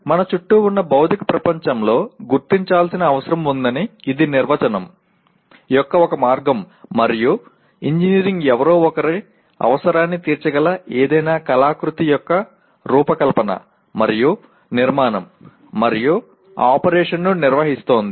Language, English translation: Telugu, This is one way of definition that there is a need that is identified in the physical world around us and engineering is organizing the design and construction and operation of any artifice that meets the requirement of somebody